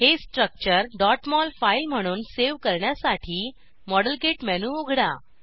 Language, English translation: Marathi, To save this structure as a .mol file, open the Modelkit menu